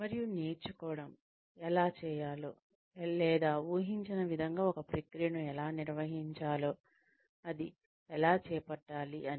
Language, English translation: Telugu, And learning, how to do, or how to carry out a process, the way it is expected, to be carried out